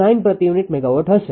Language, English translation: Gujarati, 99 per unit megawatt